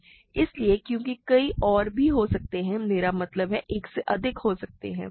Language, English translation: Hindi, So, because there could be many more, there could be more than one I mean